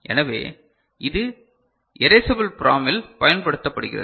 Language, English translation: Tamil, So, this is what is used in Erasable PROM